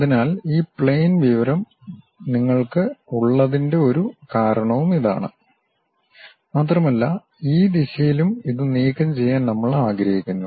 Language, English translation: Malayalam, So, that is a reason we have this plane information which goes and we want to remove it in this direction also